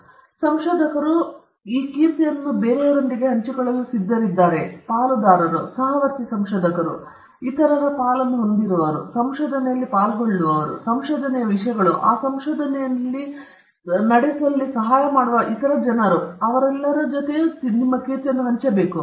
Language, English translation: Kannada, So, whether researchers are ready to share this with others those who are stake holders, the fellow researchers, other stake holders, participants in research, subjects in research, even people who help them in conducting those research, this has to be shared